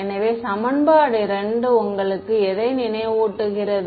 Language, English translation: Tamil, So, what does equation 2 remind you of